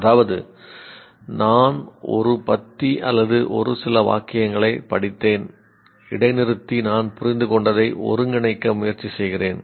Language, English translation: Tamil, That is, I read a paragraph for a few sentences, pause and try to assimilate, have I understood